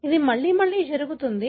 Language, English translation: Telugu, It happens again and again